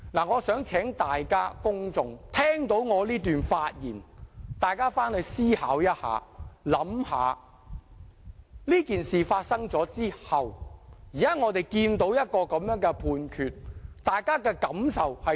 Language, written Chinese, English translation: Cantonese, 我想請聽到我這段發言的公眾思考一下，這件事發生後，我們現在看到這樣的判決，大家有何感受？, I hope members of the public who are listening to my speech here can think about how they feel at seeing such a Judgement after the incident